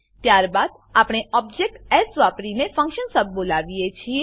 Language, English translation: Gujarati, Then we call the function sub using the object s